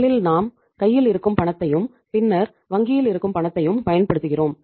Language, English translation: Tamil, First of all we use the cash which is in hand then cash at bank